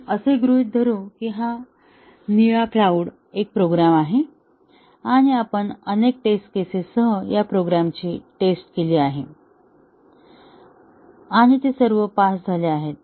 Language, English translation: Marathi, Let us assume that, this blue cloud is a program and we tested the program with a number of test cases; and they all passed